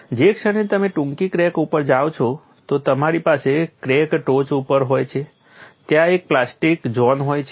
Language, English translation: Gujarati, The moment you go to short crack you have at the tip of the crack there is a plastic zone